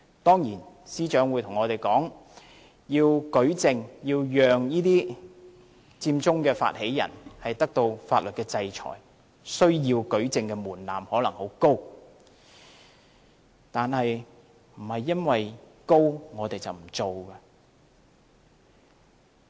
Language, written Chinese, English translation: Cantonese, 當然，司長會告訴我們，要讓這些佔中發起人接受法律制裁，舉證的門檻可能很高，但不能因為門檻高便不做。, Of course the Secretary will tell us that to impose legal sanctions on the instigators of Occupy Central the threshold of proof may be very high . But it still has to be done even the threshold is high